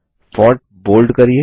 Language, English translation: Hindi, Make the font bold